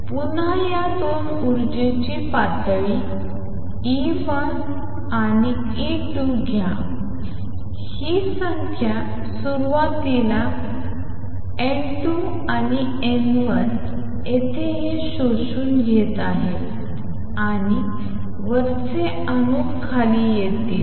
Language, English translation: Marathi, So, again take these 2 energy levels E 2 and E 1 the number initially is N 1 here and N 2 here these are absorbing and going up the upper atoms are coming down